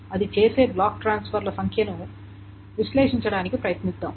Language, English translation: Telugu, How do we analyze the number of block transfers